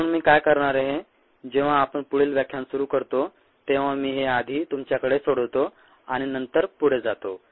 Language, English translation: Marathi, therefore, what i am going to do is, when we begin the next lecture, i am going to solve this first for you and then go forward